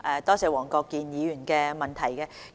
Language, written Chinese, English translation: Cantonese, 多謝黃國健議員的補充質詢。, I thank Mr WONG Kwok - kin for his supplementary question